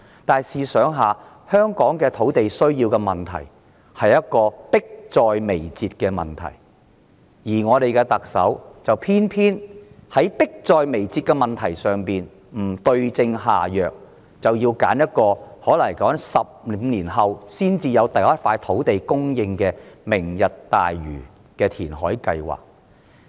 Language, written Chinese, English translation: Cantonese, 但試想想，香港土地短缺是迫在眉睫的問題，而我們的特首偏偏在這個迫在眉睫的問題上不對症下藥，反而採用可能要15年後才能提供首幅土地的"明日大嶼"填海計劃。, While the shortage of land in Hong Kong is an imminent problem our Chief Executive goes for the Lantau Tomorrow reclamation project which may be able to produce the first piece of land only 15 years later rather than prescribing the right remedy for this imminent problem